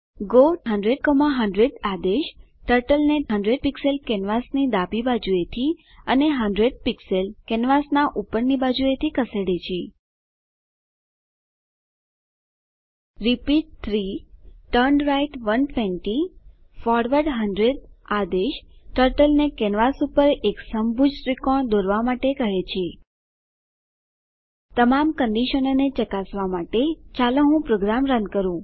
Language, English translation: Gujarati, go 100,100 commands Turtle to go 100 pixels from left of canvas and 100 pixels from top of canvas repeat 3{turnright 120 forward 100} commands turtle to draws an equilateral triangle on the canvas Let me run the program to check all the conditions